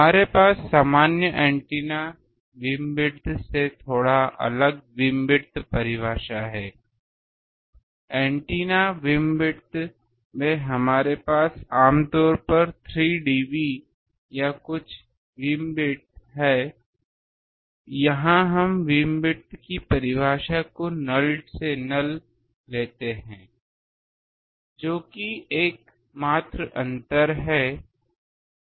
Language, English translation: Hindi, We have a beamwidth definition slightly different from the normal antennas beamwidth, in antennas beamwidth we have a generally 3 dB or something beam width here we are taking the beamwidth definition to be null to null that is the only difference